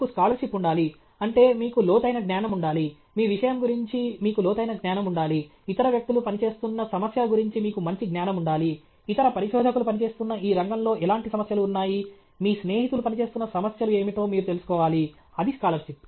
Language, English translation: Telugu, You should you should have scholarship; that means, you should have a deep knowledge; you should have a deep knowledge about your subject; you should also have a good knowledge of what are the problems other people are working in; what are the kinds of problem in this field, where other researchers are working; you should know what are the problems your friends are working on that is the scholarship